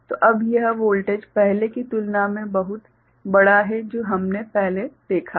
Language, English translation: Hindi, So, now, this voltage is much larger than, what we had seen before